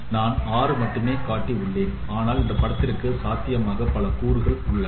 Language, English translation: Tamil, I have shown only six but there are many other components which are possible in this image